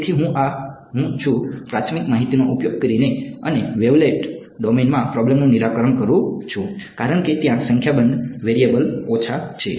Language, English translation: Gujarati, So, I am this is me using apriori information and solving the problem in the wavelet domain why because a number of variables there are lesser